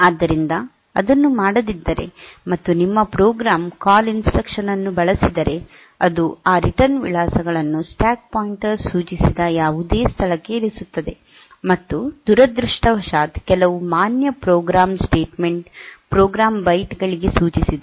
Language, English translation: Kannada, So, if that is not done, and your program uses the call instruction, then it will be putting those return addresses into whichever location pointed to by the stack pointer, and by even by unfortunately if that points to some valid program statements program bytes